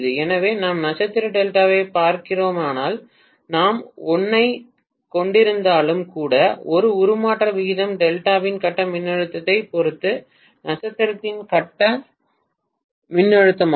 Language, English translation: Tamil, So if we are looking at star Delta, even if we are having 1 is to 1 transformation ratio that is phase voltage of star with respect to phase voltage of delta